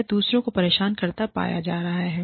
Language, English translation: Hindi, Or, is found to be disturbing, others